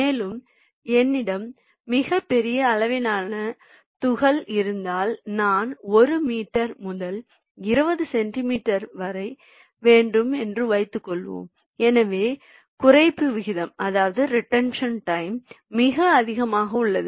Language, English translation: Tamil, and if i have a very big sized particle suppose i want from one meter to twenty centimeter so the reduction ratio is very high